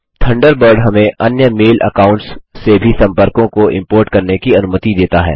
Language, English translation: Hindi, Thunderbird allows us to import contacts from other Mail accounts too